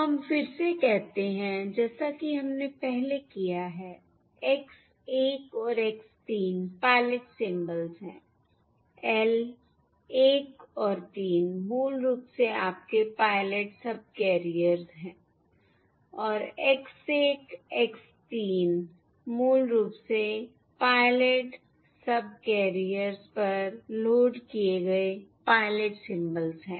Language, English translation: Hindi, that is, L equal to 1 to 3 are basically your pilot subcarriers, and X 1, and therefore X 1, X 3 are basically the pilot symbols loaded on the pilot subcarriers